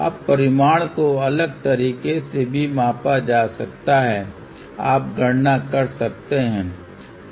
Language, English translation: Hindi, Now, magnitude can also be measured slightly different way, you can do the calculation